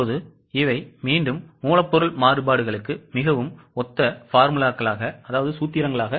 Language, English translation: Tamil, Now these are the formulas again very similar to material variances